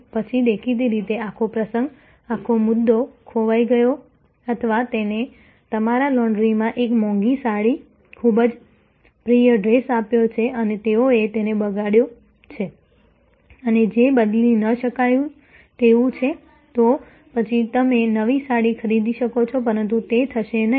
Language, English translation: Gujarati, Then, obviously, the whole occasion, the whole point is lost or you have given a costly saree, a very favorite dress to your laundry and they have spoiled it and which is irretrievable, then you might buy a new saree, but that will not, never bring you that whole dress or whole saree back to you